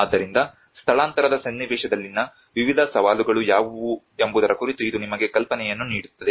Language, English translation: Kannada, So it will give you an idea of what are the various challenges in the relocation context